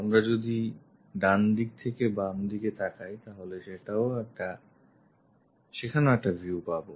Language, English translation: Bengali, If it is from right side, on to left side we will have a view there